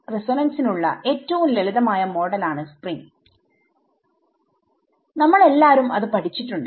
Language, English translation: Malayalam, Spring models resonances a spring is the most simplest model for a resonance we have all studied this for